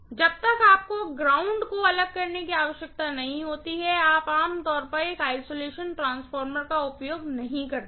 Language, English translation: Hindi, Unless you have a requirement to separate the earth, you generally do not use an isolation transformer